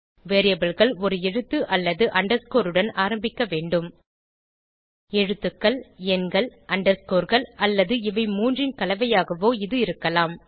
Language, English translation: Tamil, Variables must begin with a letter or underscore And may contains letters, digits, underscores or a combination of above 3